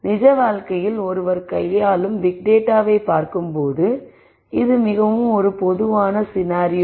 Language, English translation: Tamil, This is a very typical scenario when you look at large data that one deals with in real life